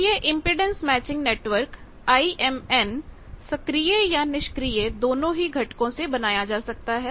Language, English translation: Hindi, Now, this impedance matching network, IMN they can be constructed from either passive or active components